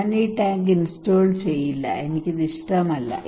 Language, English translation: Malayalam, That uff I will not install this tank I do not like it